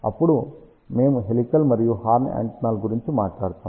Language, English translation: Telugu, Then we will talk about helical and horn antennas